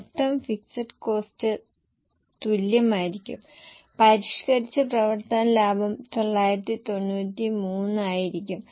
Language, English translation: Malayalam, Total fixed cost will be same and revised operating profit will be 9